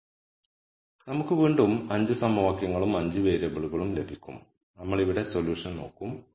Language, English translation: Malayalam, Again we will get 5 equations and 5 variables and we will look at the solution here